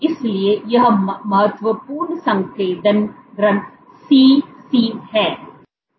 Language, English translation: Hindi, So, this is the critical concentration Cc